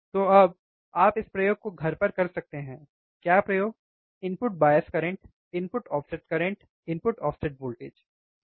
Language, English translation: Hindi, So now, you can do this experiments at home what experiment input bias current input offset current input offset voltage, right